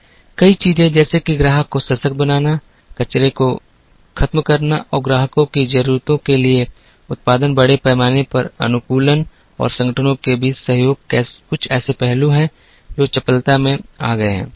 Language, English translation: Hindi, Many things such as empowering the customer, eliminating waste and producing to customer needs, mass customization and cooperation among organizations are some aspects that have come into agility